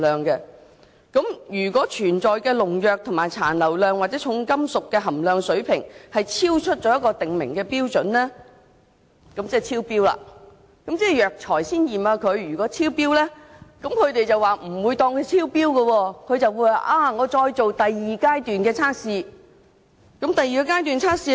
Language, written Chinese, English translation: Cantonese, 如果發現當中的農藥殘留量或重金屬含量水平超出訂明的標準，這其實已等於超標，但藥材在這階段驗出的農藥及重金屬即使超標，也不會視作超標，而是會繼續進行第二階段的測試。, If it is found that the pesticide residues and heavy metals content are in excess of the prescribed standards it means that the limits are already exceeded . But even though the pesticides and heavy metals are tested to be in excess of the limits at this stage the medicines still are not considered as having exceeded the limits but will be further tested at the second stage